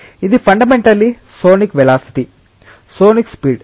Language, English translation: Telugu, This is fundamentally sonic velocity; sonic speed